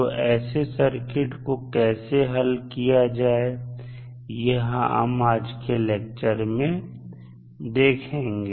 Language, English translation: Hindi, So, in those cases how we will solve the circuit we will discuss in today’s lecture